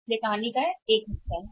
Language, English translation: Hindi, So, there is one part of the story